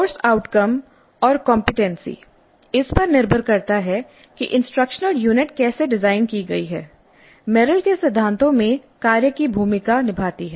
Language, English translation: Hindi, The course outcome are the competency depending upon how the instructor unit is designed place the role of the task in Merrill's principles